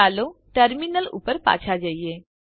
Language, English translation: Gujarati, Let us go back to the Terminal